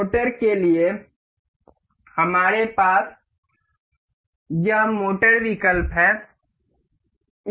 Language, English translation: Hindi, For this, motor, we have this motor option